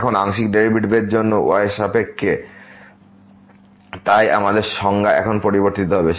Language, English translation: Bengali, Now, for the partial derivative with respect to , so our definition will change now